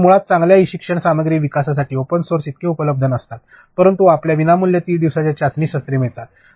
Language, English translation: Marathi, So, open force basically for good e learning content development are not that much available, but you get free 30 day trial sessions